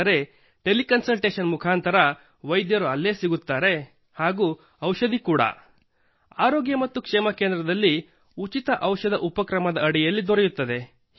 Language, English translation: Kannada, But through Tele Consultation, it is available there and medicine is also available through Free Drugs initiative in the Health & Wellness Center